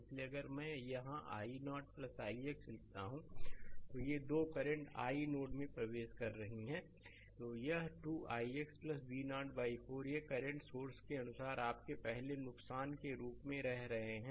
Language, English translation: Hindi, So, if I write here i 0 plus i x these two currents are entering into the node is equal to this 2 i x plus V 0 by 4, these are living as per this current source your first loss